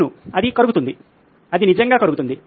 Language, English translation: Telugu, Yes, it melts, it can actually melt